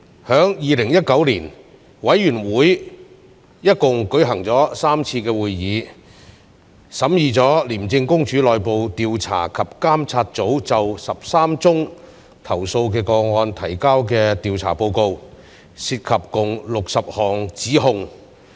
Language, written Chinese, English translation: Cantonese, 在2019年，委員會一共舉行了3次會議，審議了廉政公署內部調查及監察組就13宗投訴個案提交的調查報告，涉及共68項指控。, The Committee held 3 meetings in 2019 and deliberated on 13 complaint investigation and assessment reports prepared by the internal investigation and monitoring unit of ICAC